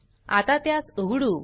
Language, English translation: Marathi, Now let us open